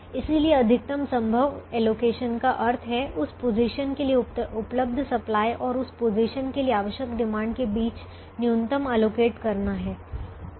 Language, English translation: Hindi, so allocating as much as we can is allocating the minimum between, or minimum between, the available supply for that position and the required demand for that position